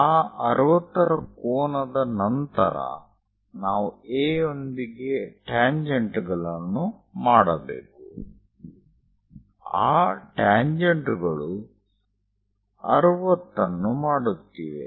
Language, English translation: Kannada, After that 60 degrees angle, we have to make with A, the tangents are making 60 degrees